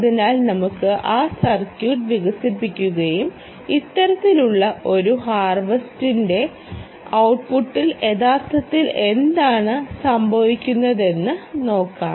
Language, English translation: Malayalam, so lets develop that circuit also and see what actually happens at the output of the, this kind of a harvester